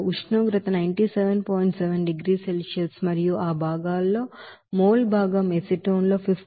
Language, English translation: Telugu, 7 degree Celsius and mol fraction of that components will be 15